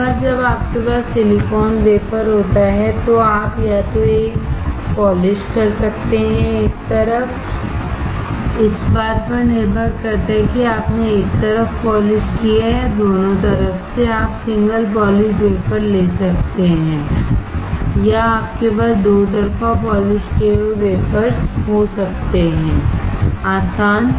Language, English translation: Hindi, Once you have silicon wafer, you can either polish one, one side, depending on whether you have polished on one side or both side you can have single polished wafer or you can have double sided polished wafers, easy